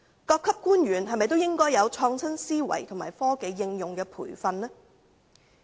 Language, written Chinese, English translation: Cantonese, 各級官員是否也應有創新思維及接受科技應用的培訓呢？, Should officials of various ranks not adopt an innovative mindset and receive training in technology application too?